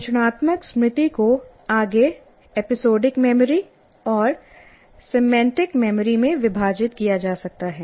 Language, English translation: Hindi, This declarative memory may be further subdivided into what we call episodic memory and semantic memory